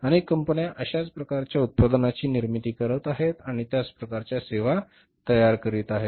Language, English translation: Marathi, Number of companies are manufacturing the similar kind of the products or generating similar kind of services